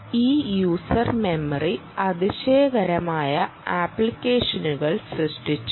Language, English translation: Malayalam, memory has created fantastic number of applications